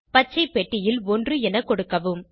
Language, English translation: Tamil, Enter 1 in the green box